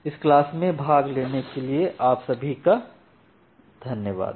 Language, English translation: Hindi, So thank you all for attending this class